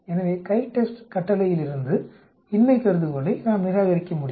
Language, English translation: Tamil, So from the CHITEST command, we can reject the null hypothesis